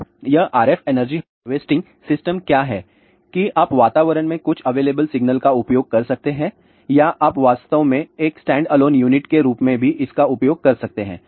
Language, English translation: Hindi, So, what is this RF energy harvesting system, that you can use some of these available signal in the available in the environment or you can actually use this as a standalone unit also